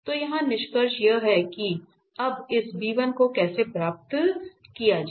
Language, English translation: Hindi, So, the conclusion here is how to get this b1 now